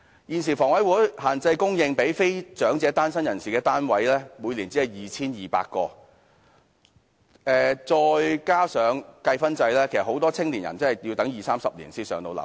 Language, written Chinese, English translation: Cantonese, 現時房委會供應給非長者單身人士的單位，每年只有 2,200 個，加上計分制，很多青年人真的要等二三十年才能"上樓"。, At present the Housing Authority only sets aside 2 200 units for non - elderly singletons each year . Owing to the small number of units and coupled with the points system young people have to wait two or three decades before they can be allocated a PRH unit